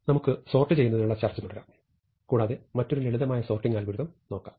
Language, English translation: Malayalam, So, let us continue with our discussion of sorting, and look at another simple sorting algorithm